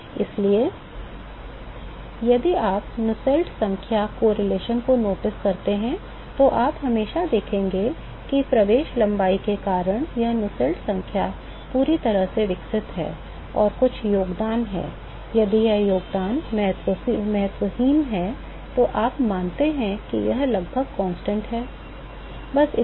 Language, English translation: Hindi, So, if you notice the Nusselts number correlation, you will always see that it is Nusselts number fully developed plus some contribution, because of entry length, if this contribution is insignificant, so, you assume that it is almost constant that is all